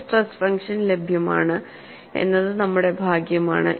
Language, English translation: Malayalam, And we are fortunate that, there is a stress function available